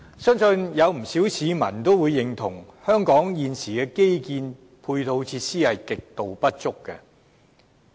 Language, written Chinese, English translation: Cantonese, 相信不少市民也會認同，香港現時的基建配套設施極度不足。, I believe many members of the public will agree that the infrastructural facilities of Hong Kong are grossly inadequate